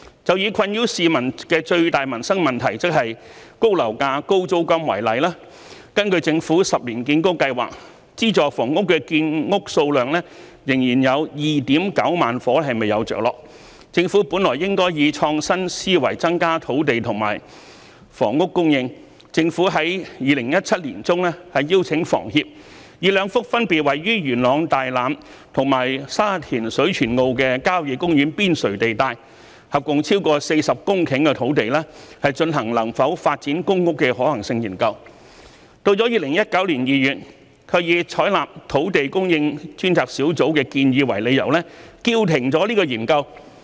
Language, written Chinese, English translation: Cantonese, 就以困擾市民的最大民生問題，即高樓價、高租金為例，根據政府10年建屋計劃，資助房屋的建屋數量仍有 29,000 伙未有着落，政府本來應該以創新思維增加土地和房屋供應；政府在2017年年中邀請香港房屋協會，以兩幅分別位於元朗大欖及沙田水泉澳的郊野公園邊陲地帶，合共超過40公頃土地，進行能否發展公屋的可行性研究，但到了2019年2月，卻以採納土地供應專責小組的建議為理由，叫停研究。, In the example of dealing with the issue of high property prices and exorbitant rents the greatest livelihood problem plaguing the public when the number of subsidized housing units constructed under the Ten - year Housing Programme of the Government still fell short of the target by 29 000 units the Government should have increased land and housing supply with an innovative mindset . In mid - 2017 the Government invited the Hong Kong Housing Society to conduct a feasibility study on two sites on the periphery of country parks respectively located in Tai Lam of Yuen Long and Shui Chuen O of Sha Tin which cover a total of 40 hectares of land for the development of public housing . But in February 2019 the Government halted the study on the grounds that it had adopted the recommendation from the Task Force on Land Supply